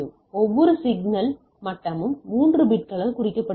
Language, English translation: Tamil, Each signal level is represented by 3 bits